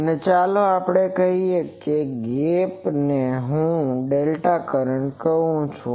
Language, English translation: Gujarati, And let us say this gap is something like delta let me call